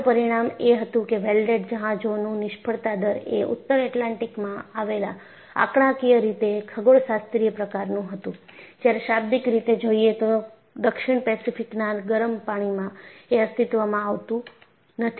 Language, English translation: Gujarati, And observation was, the failure rate of the welded ships was statistically astronomical in the North Atlantic, while literally, nonexistent in the warm waters of the South Pacific